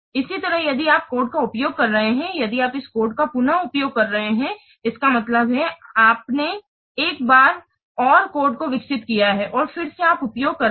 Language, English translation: Hindi, Similarly, if you are using code, if you are what are using this code reusing, if you are following code reusing, that means you have developed one and again and again you are using